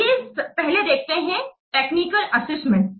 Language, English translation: Hindi, Let's see about this technical assessment first